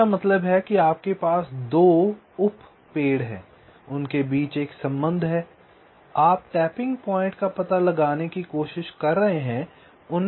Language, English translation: Hindi, that means: ah, you have two subtrees, ah, there is a connection between then you are trying to find out the tapping point